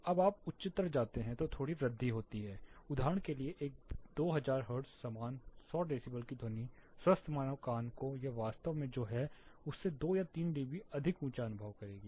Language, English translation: Hindi, As you go higher there is a slight increase that is for example, a 2000 hertz the same 100 decibels sound the healthy human ear would perceive it slightly 2 or 3 dB higher than what it actually is